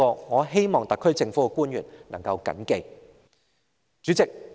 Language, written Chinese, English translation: Cantonese, 我希望特區政府的官員能緊記這一點。, I hope officials of the SAR Government will distinctly remember this point